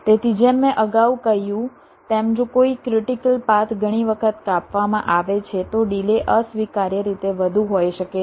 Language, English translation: Gujarati, ok, so, as i said earlier, if a critical path gets cut many times, the delay can be an unacceptably high